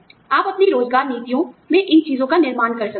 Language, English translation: Hindi, You can build, these things into your employment policies